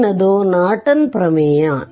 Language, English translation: Kannada, Next is your Norton theorem